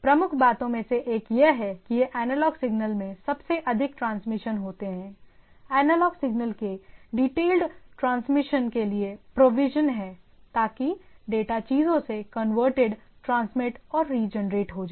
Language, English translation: Hindi, As one of the predominant thing is that these are transmitted as most in analog signal, there are provision for detail transmissions the analog signals so that the data gets converted, transmitted and regenerated at the things right